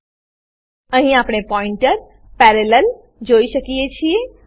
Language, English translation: Gujarati, We can see here pointer parallel